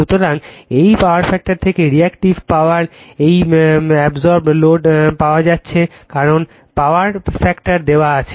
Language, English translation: Bengali, So, from this power factor you can find out also is reactive power absorb right load reactive power also because power factor is given